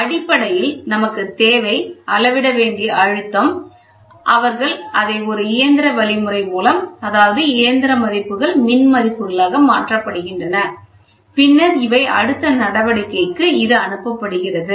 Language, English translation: Tamil, So, basically what we wanted is the pressure is to be measured, they measure it in a mechanical means and then these mechanical values are converted into electrical value so that it can be processed for further action